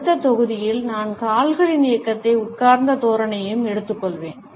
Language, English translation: Tamil, In the next module, I would take up the movement of the feet and sitting postures